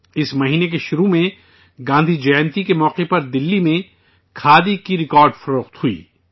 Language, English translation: Urdu, At the beginning of this month, on the occasion of Gandhi Jayanti, Khadi witnessed record sales in Delhi